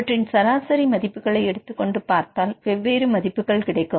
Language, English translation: Tamil, Now, you take average, and then you can get the average values then you will get 20 different values